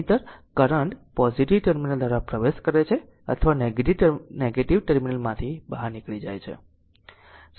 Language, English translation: Gujarati, Otherwise current entering through the positive terminal or leaving through the negative terminal